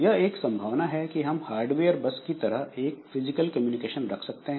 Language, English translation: Hindi, So, our hardware bus, we do this physical communication